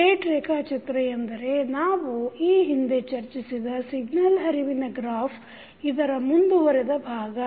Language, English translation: Kannada, State diagram is nothing but the extension of the signal flow graph which we discussed in previous lectures